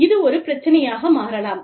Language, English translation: Tamil, And, that can become a problem